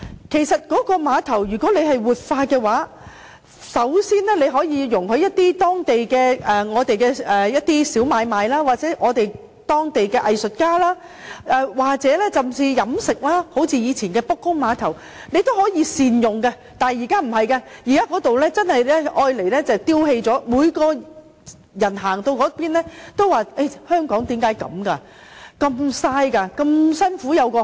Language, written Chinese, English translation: Cantonese, 其實，如果可以活化碼頭，首先容許區內一些小買賣進行，又或讓當地的藝術家甚至飲食業營運，像以前的卜公碼頭般，從而善用地方，但現在卻不是，碼頭只是被丟棄，人人路經該處也不禁會問香港為甚麼如此浪費？, In fact if it is possible to revitalize the pier by first allowing some small businesses in the district to be conducted there or local artists or even the catering industry to operate there in a fashion similar to the former Blake Pier such that the location can be put to better use . But it is not the case now . The pier has just been discarded